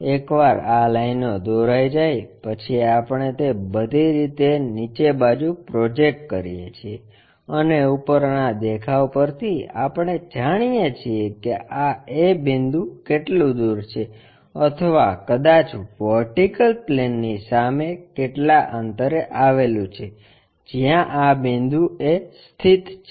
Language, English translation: Gujarati, Once these lines are done, we project it down all the way, project it all the way down and from top view we know how far this A point is or perhaps in front of vertical plane where exactly this a point located we locate a point, similarly we locate that b point